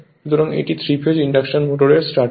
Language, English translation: Bengali, So, so 3 phase induction motor will start